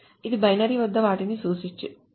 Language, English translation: Telugu, So this stands for binary large object